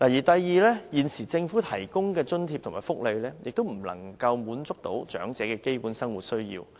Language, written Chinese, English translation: Cantonese, 第二，現時政府提供的津貼和福利亦不能滿足長者的基本生活需要。, Second the allowances and benefits provided by the Government cannot meet the basic needs of the elderly